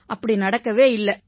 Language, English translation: Tamil, This did not happen